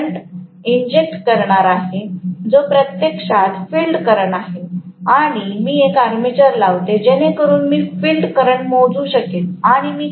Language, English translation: Marathi, Now, I am going to inject the current which is actually the field current and I will put an ammeter so that I will be able to measure the field current